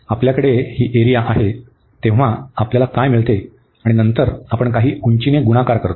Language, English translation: Marathi, So, what do we get, when we have this area here and then we have multiplied by some height